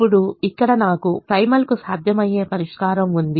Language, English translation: Telugu, now here i have a feasible solution to the primal